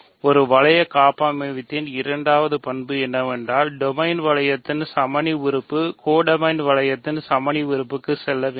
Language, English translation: Tamil, The second property of a ring homomorphism is that the identity element of the domain ring has to go to the identity element of the codomain ring